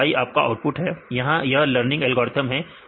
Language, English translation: Hindi, So, y is your output, here it is learning algorithm